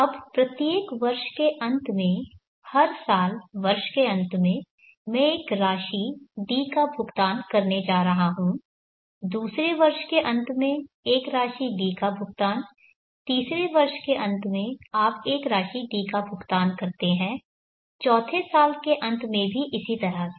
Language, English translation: Hindi, Now at the end of each year the end of every year I am going to pay an amount T, then for the second year pay an amount D, third year you pay an amount D, at the end of fourth year also similarly